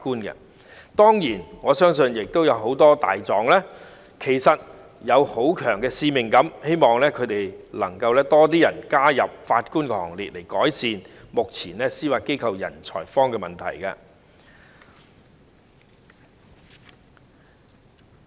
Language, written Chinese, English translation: Cantonese, 不過，我相信有很多"大狀"也有很強烈的使命感，希望日後會有更多人加入法官的行列，以改善目前司法機構"人才荒"的問題。, However I believe many barristers do have a very strong sense of dedication . I therefore hope that more of them will join the Bench in the days to come so as to alleviate the manpower shortage problem of the Judiciary